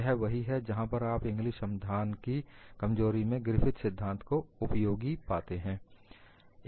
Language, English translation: Hindi, This is where you find Griffith theory is useful at the backdrop of Inglis solution